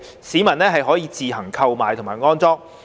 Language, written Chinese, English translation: Cantonese, 市民可自行購買及安裝。, The public could purchase and install SFDs themselves